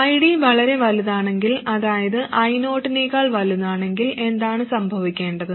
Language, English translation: Malayalam, If ID is too large, that is it is larger than I 0, what must happen